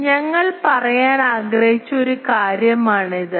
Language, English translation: Malayalam, So, this is one thing that we wanted to say